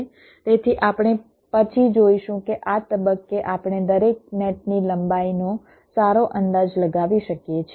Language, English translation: Gujarati, so we shall see later that at this stage we can make a good estimate of the length of every net